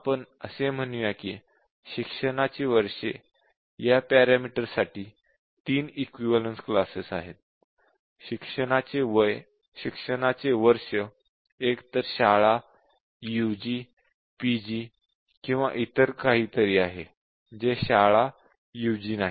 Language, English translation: Marathi, So, the years of education, let us say we identify that there are three equivalence class for this parameter; years of education is either school, UG, PG or something which is not even school not even PG